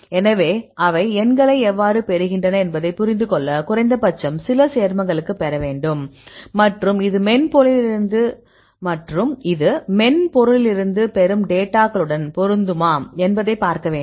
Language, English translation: Tamil, So, to understand how they get the numbers at least you need to derive for some compounds and see whether this matches with the data which you get from the software